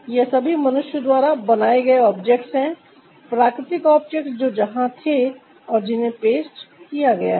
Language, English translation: Hindi, they are all manmade objects, natural objects which were there, that got pasted